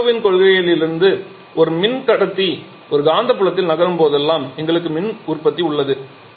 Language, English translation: Tamil, Here the idea is very interesting you know that from Avogadro's principle that whenever a conductor moves in a magnetic field we have electricity generation